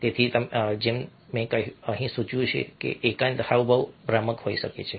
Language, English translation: Gujarati, so, as i have indicated over here, solitary gesture can be misleading